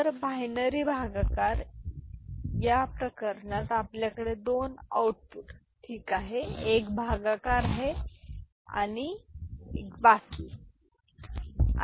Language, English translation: Marathi, So, binary division in this case, we are having two outputs ok; one is quotient another is remainder